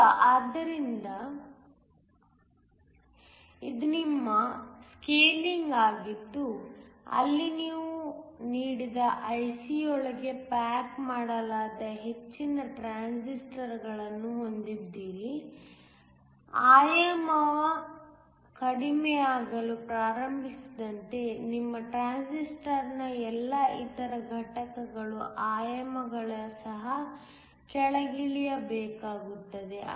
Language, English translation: Kannada, Now, as the dimensions of the transistor start to come down, so, this is your scaling where you have more transistors that are packed within a given IC as the dimension starts to come down the dimensions of all the other components of your transistor will also have to come down